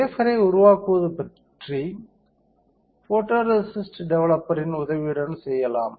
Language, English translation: Tamil, Developing wafer can be done with the help of photoresist developer